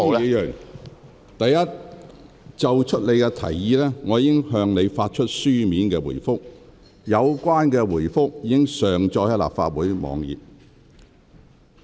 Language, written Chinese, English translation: Cantonese, 許智峯議員，就你提出的事宜，我已向你發出書面回覆。有關回覆已上載立法會網站。, Mr HUI Chi - fung regarding the issue you raised I have given you my reply in writing which has been uploaded onto the Legislative Council website